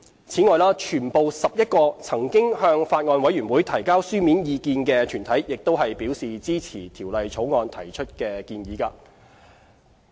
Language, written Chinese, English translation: Cantonese, 此外，全部11個曾向法案委員會提交書面意見的團體亦表示支持《條例草案》提出的建議。, All 11 organizations which have provided submissions to the Bills Committee supported the proposals put forward in the Bill